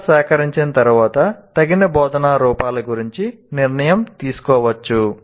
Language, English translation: Telugu, Once the data is collected, a decision about the appropriate forms of instruction then can be made